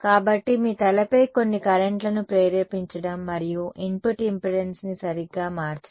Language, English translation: Telugu, So, inducing some currents on your head and changing the input impedance right